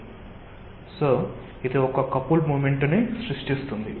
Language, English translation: Telugu, so it will create a couple moment